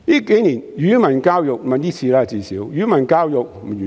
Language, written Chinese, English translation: Cantonese, 這次施政報告完全沒有提及語文教育。, This Policy Address does not mention language in education at all